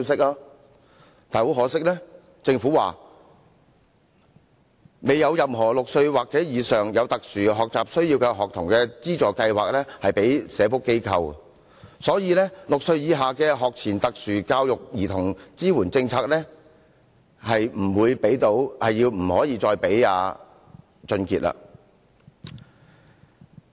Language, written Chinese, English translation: Cantonese, 但很可惜，政府說未有任何6歲或以上有特殊學習需要的學童資助計劃適用於社福機構，所以6歲以下的學前特殊教育兒童支援政策不再適用於王俊傑。, This is good news . But regrettably the Government says that there is yet any financial assistance schemes for students aged six or above with special education needs that is applicable to social organizations and the policy on pre - primary special education for children aged six or below no longer applies to WONG Chun - kit